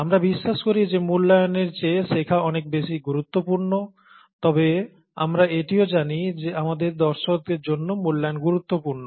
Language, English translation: Bengali, The learning is much more important than the evaluation is what we believe, but we also know that the evaluation is important for our audience